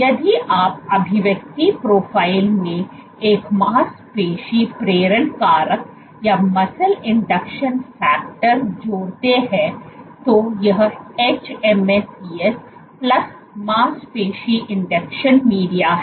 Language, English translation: Hindi, If you add a muscle induction factor the expression profile, so this is hMSCs plus muscle induction media